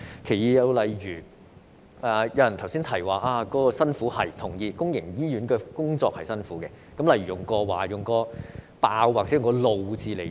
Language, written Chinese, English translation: Cantonese, 第二，有議員提到公營醫院的醫生很辛苦，這點我同意，公營醫院的工作很辛苦，我會以"爆"和"怒"字形容。, Second some Members said that doctors working in public hospitals have a hard time . I agree that working in public hospitals is tough . I will describe it with the words explosion and anger